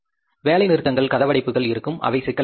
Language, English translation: Tamil, There will be strikes, lockouts that will create a problem